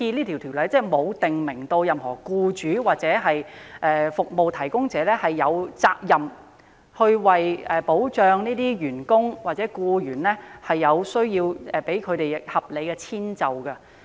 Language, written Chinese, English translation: Cantonese, 《條例草案》沒有訂明，任何僱主或服務提供者有責任保障和為有需要的員工或僱員提供合理遷就。, The Bill has not stipulated that any employer or service provider is responsible for ensuring and providing reasonable accommodation for staff or employees in need